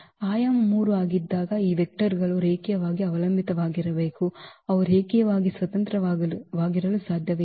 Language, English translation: Kannada, So, when the dimension is 3 these vectors must be linearly dependent, they cannot be linearly independent